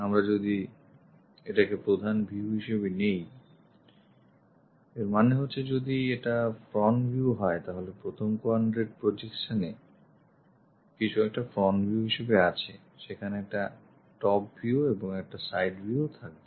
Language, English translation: Bengali, Gasket for example, if we are picking this one as the main view, that means if that is the front view, then we will have in the first quadrant projection something like a front view, there will be a top view and there will be a side view